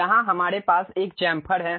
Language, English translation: Hindi, Here we have a Chamfer